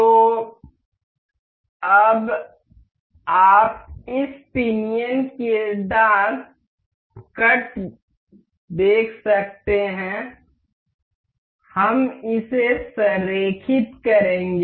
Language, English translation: Hindi, So, now you can see the tooth cuts of this pinion we will align this